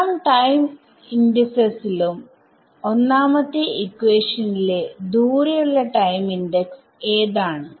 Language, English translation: Malayalam, So, in terms of all the time indices which is the future most time index over here in equation one